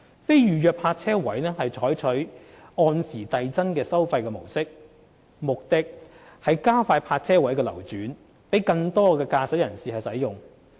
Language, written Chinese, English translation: Cantonese, 非預約泊車位將採納按時遞增收費的模式，目的是加快泊車位的流轉，供更多駕駛人士使用。, A progressive scale of hourly parking fees will be adopted for non - reserved parking spaces to increase the turnover rate thereby making the parking spaces available to more motorists